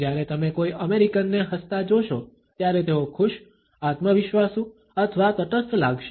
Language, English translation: Gujarati, When you see an American smiling, they might be feeling happy, confident or neutral